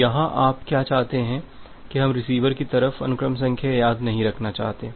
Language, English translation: Hindi, So here, what do you want that we do not want to remember the sequence number at the receiver side